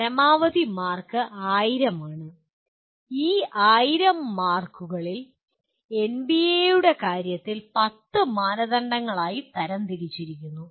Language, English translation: Malayalam, The maximum marks are 1000 and these 1000 marks are divided into in case of NBA about 10 criteria